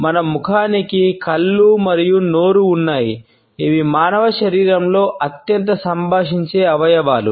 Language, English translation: Telugu, Our face has eyes and mouth, which are the most communicative organs in our human body